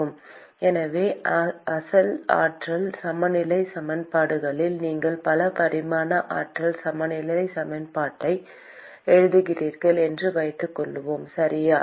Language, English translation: Tamil, So, in the original energy balance equations supposing you write multi dimensional energy balance equation, okay